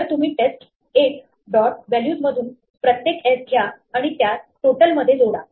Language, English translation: Marathi, So, you can pick up each s in test 1 dot values and add it to the total